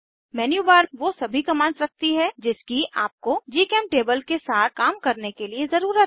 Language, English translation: Hindi, Menubar contains all the commands you need to work with GChemTable